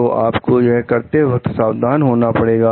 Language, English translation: Hindi, So, you have to be careful while doing this